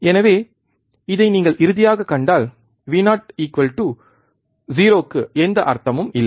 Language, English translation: Tamil, So, if you see this finally, you get Vo equals to 0 has no meaning